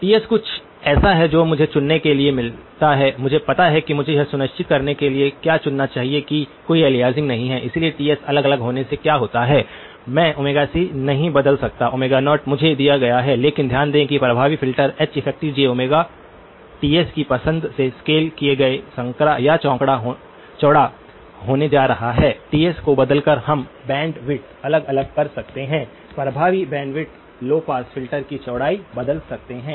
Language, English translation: Hindi, Ts is something that I get to choose, I know what I should choose to make sure that there is no aliasing, so by varying Ts what happens; by varying Ts, I cannot change Omega c, Omega naught is given to me but notice the effective filter H effective of j Omega is going to get scaled made narrower or wider by the choice of Ts, by varying Ts we can vary the bandwidth; effective bandwidth, can vary the width of the low pass filter